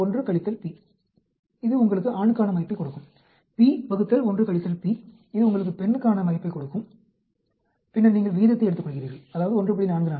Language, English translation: Tamil, p divided by 1 minus p, that gives you for the man, p divided 1 minus p that gives you for woman and then you take the ratio, that is 1